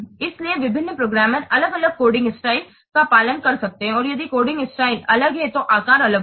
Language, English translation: Hindi, So, different programmers can follow different coding styles